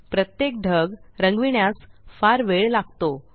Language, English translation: Marathi, Coloring each cloud will take a long time